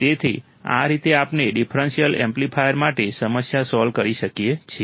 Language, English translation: Gujarati, So, this is how we can solve the problem for the differential amplifier